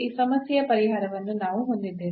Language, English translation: Kannada, So, we have the solution of this problem